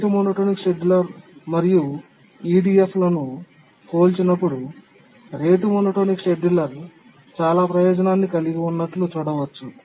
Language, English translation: Telugu, If we compare our whatever we learnt about the rate monotonic scheduler and the EDF, we can see that the rate monotonics scheduler has a lot of advantage